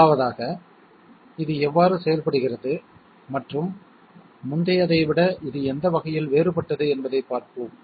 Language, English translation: Tamil, 1st of all, let us see how this works and in what way is it different from the previous one